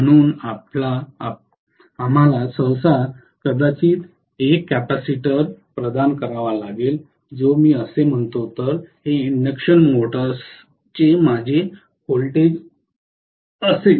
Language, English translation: Marathi, So we will normally have to provide maybe a capacitor which will actually if I say that if this is going to be my voltage of the induction motor